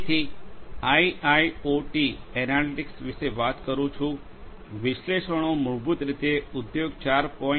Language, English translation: Gujarati, So, talking about IIoT analytics; analytics basically is a core component for industry 4